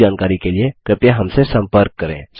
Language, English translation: Hindi, Please contact us for more details